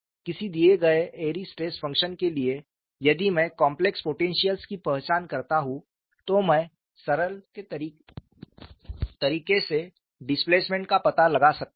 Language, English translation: Hindi, For any given Airy's stress function if I identify the complex potentials, I could find out the displacement in a straight forward manner